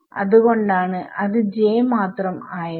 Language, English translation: Malayalam, So, that is why it is just j yeah